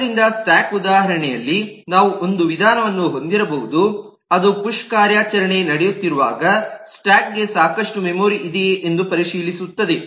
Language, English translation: Kannada, so in the stack example we could have a method which actually checks if the stack has enough memory when push operation is happening